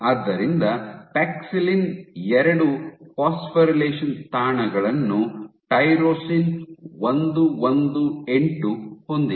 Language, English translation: Kannada, And so paxillin has 2 phosphorylation sites a tyrosine 118